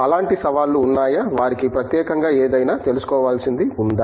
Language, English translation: Telugu, Are there such challenges, something uniquely there for them that, they should be aware of